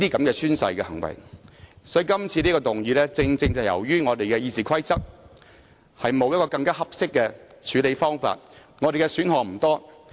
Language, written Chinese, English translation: Cantonese, 因此，今次提出這項議案，正是因為我們的《議事規則》沒有更合適的處理方法，我們的選擇不多。, Hence the motion is proposed this time around precisely because our Rules of Procedures does not offer a more appropriate way to deal with it leaving us with limited options